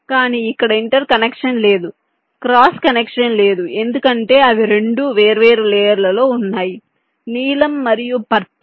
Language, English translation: Telugu, but here there is no interconnection, no cross connection, because they are running on two different layers, blue and purple